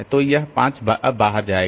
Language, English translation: Hindi, So, this 2 goes out